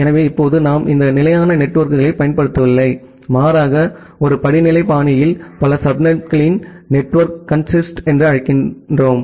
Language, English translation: Tamil, So, now we are not using this fixed networks rather we are saying that a network consist of multiple subnets in a hierarchical fashion